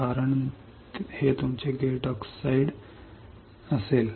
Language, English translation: Marathi, Because this will be your gate oxide